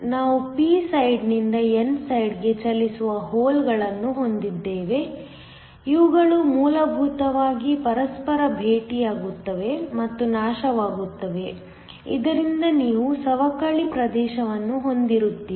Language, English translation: Kannada, This is diffusion current we have holes from the p side moving to the n side, these essentially meet each other and annihilate, so that you have a depletion region